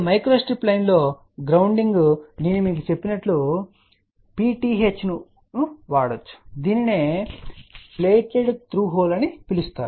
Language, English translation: Telugu, Now, grounding in the micro strip line as I had told you you can use a PTH which is known as plated through hole